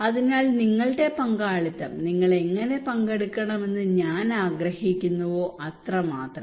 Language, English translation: Malayalam, So your participation the way I want you to participate that is it